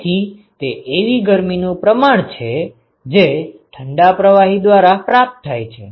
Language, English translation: Gujarati, So, that is the amount of heat that is gained by the cold fluid